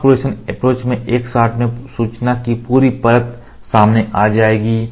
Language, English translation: Hindi, In mask projection approach the complete layer of information will be exposed in one shot